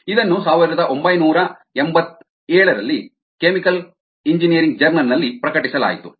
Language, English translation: Kannada, it was published in chemical engineering, a journal in nineteen eighty seven